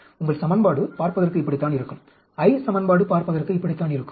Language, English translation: Tamil, That is how your equation will look like, the I equation will look like, ok